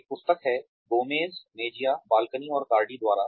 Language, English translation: Hindi, There is this book by, Gomez Mejia, Balkin, and Cardy